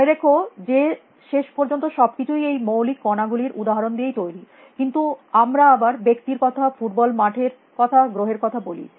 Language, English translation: Bengali, Remember that in the end everything is made up of examples of this fundamental particles, but then we talk of people, we will talk of football field, we talk of a planet